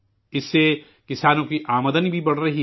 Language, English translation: Urdu, This is also increasingthe income of farmers